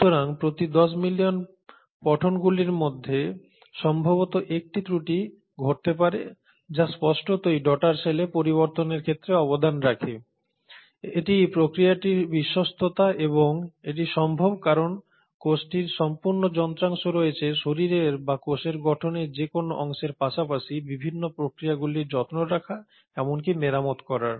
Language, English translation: Bengali, So for every 10 million reads, probably a 1 error may happen which obviously contributes to the variation in the daughter cell, but this is the fidelity of the process and this is simply possible because the cell has complete machinery to take care of even the repair of any parts of the body or the parts of the cell structure as well as the processes